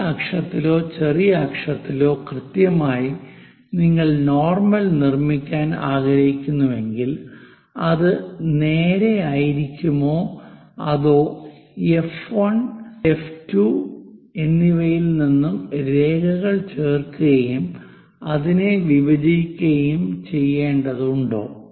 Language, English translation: Malayalam, Precisely on major axis or minor axis, you would like to construct normal, will that be straightforwardly this one or do I have to join the lines from F 1 F 2 and bisect it